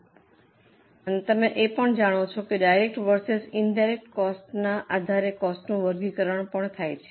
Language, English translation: Gujarati, Then you also know there is a classification of cost based on direct versus indirect costs